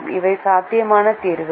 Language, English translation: Tamil, these were the solutions that are feasible